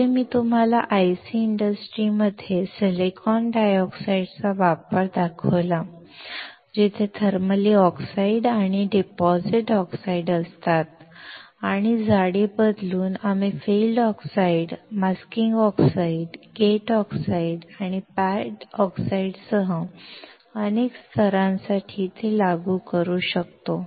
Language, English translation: Marathi, Next, I showed you the application of silicon dioxide in IC industry, where there are thermally grown oxide and deposited oxide, and by changing the thickness, we can apply it for several layers including field oxide, masking oxide, gate oxide, and pad oxides